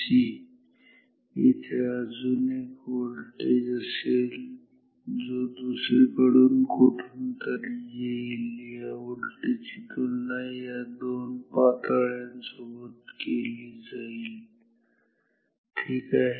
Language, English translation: Marathi, So, there will be another voltage coming from somewhere something; this voltage will be compared against these two levels ok